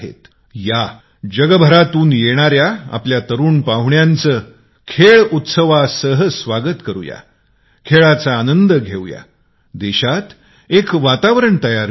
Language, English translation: Marathi, Come, let's welcome the young visitors from all across the world with the festival of Sports, let's enjoy the sport, and create a conducive sporting atmosphere in the country